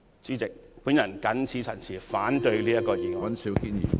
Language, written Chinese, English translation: Cantonese, 主席，我謹此陳辭，反對這項議案。, With these remarks President I oppose the motion